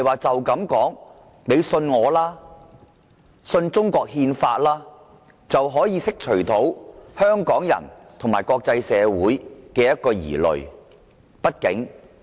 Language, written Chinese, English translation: Cantonese, 當局不能說："你相信我吧，相信中國憲法吧"便能釋除香港人和國際社會的疑慮。, The Administration cannot dispel the concerns of Hong Kong people and the international community by saying Please believe me and believe the Constitution of China